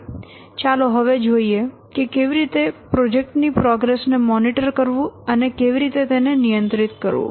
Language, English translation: Gujarati, Now let's see how to monitor and control the progress of a project